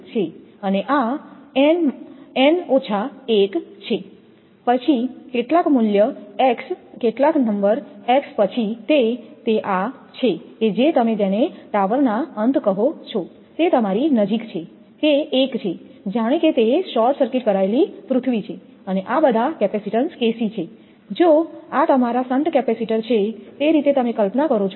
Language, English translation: Gujarati, And this is n minus 1 then some value x some number x there then it is that your near the your what you call the tower end, it is 1, as if it is a short circuited earth and these are all KC capacitance as if your shunt capacitor this way you imagine